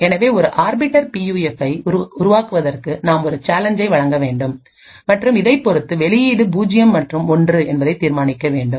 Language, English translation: Tamil, So creating an Arbiter PUF would require that we provide a challenge and correspondingly determine whether the output is 0 and 1